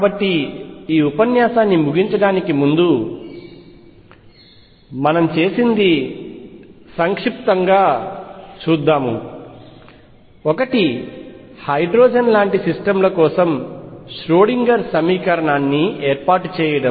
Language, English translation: Telugu, So, to conclude this lecture what we have done is: one, set up the Schrodinger equation for hydrogen like systems